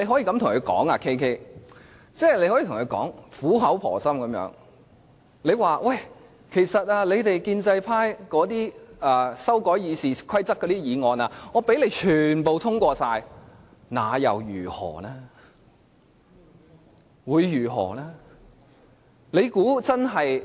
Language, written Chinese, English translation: Cantonese, 但是 ，KK， 你可以苦口婆心地跟他們說："建制派修改《議事規則》的議案，即使全部通過，那又如何呢？, But KK you can earnestly persuade them by saying Even if the amendments proposed by the pro - establishment camp to the RoP are all passed so what?